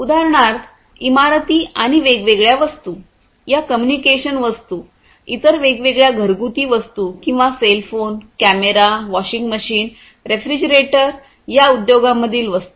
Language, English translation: Marathi, And different objects these communication objects for example or different other household objects or even the objects that are in the industries like cell phone, cameras, etcetera you know washing machines, refrigerators